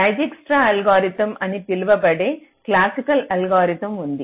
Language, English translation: Telugu, so there is a classical algorithm called dijkstras algorithm